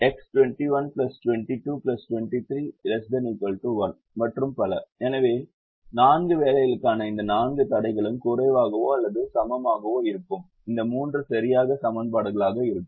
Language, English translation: Tamil, so these four constraints for the four jobs will be less than or equal to, whereas this three will be exactly equations